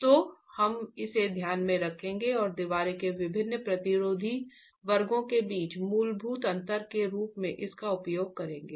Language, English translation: Hindi, So we'll keep that in mind and use that as the fundamental difference between different resisting sections of the wall itself